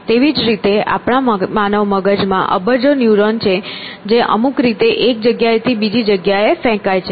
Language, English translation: Gujarati, Likewise, in our human brains, there are these billions of neurons which are firing away in some fashion